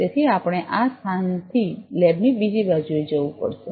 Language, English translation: Gujarati, So, we will have to move from this place to the other side of the lab